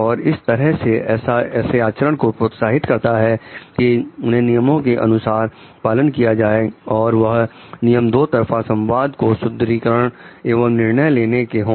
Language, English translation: Hindi, And like the way to promote those conducts to follow as per norms go as per norms through two way communication reinforcement and decision making